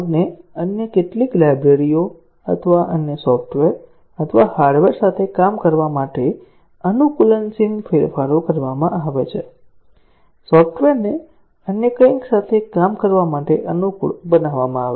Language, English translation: Gujarati, Adaptive changes are made to the code to make it to work with some other libraries or some other software or hardware, to adapt the software to work with something else